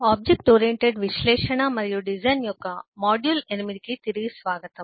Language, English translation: Telugu, welcome back to module 8 of object oriented analysis and design